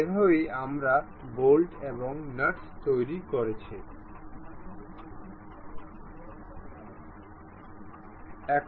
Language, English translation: Bengali, This is the way bolt and nut we constructed